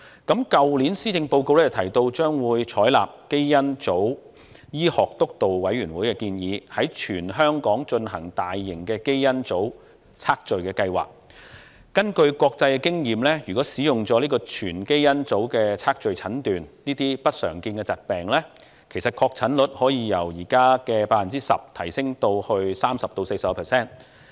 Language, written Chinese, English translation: Cantonese, 去年施政報告提到，將會採納基因組醫學督導委員會的建議，在全港進行大型的基因組測序計劃，根據國際經驗，如果使用全基因組測序診斷這些不常見疾病，其實確診率可從現時 10% 提升至 30% 至 40%。, The Policy Address last year mentioned that the Government would accept the Steering Committee on Genomic Medicines recommendation to conduct a large - scale genome sequencing project in Hong Kong . Based on international experience if whole genome sequencing is used in the diagnosis of these rare diseases the rate of diagnostic accuracy can actually be increased from the present 10 % to between 30 % and 40 %